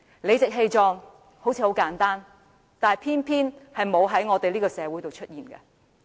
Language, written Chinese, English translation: Cantonese, 理直氣壯看似簡單，但偏偏沒有在這個社會上出現。, It seems easy to achieve the idea of becoming just but it is not the case in this society